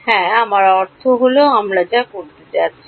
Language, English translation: Bengali, Yeah I mean that is exactly what we are going to do